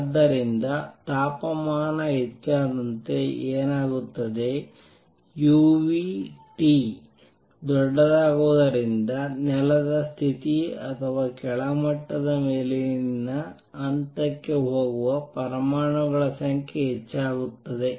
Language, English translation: Kannada, So, what will happen as temperature goes up u nu T becomes larger not only the number of atoms that are going from ground state or lower level to upper level increases